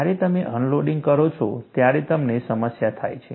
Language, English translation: Gujarati, When you have unloading, you have a problem